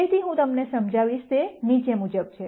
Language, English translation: Gujarati, So, what I am going to explain to you is the following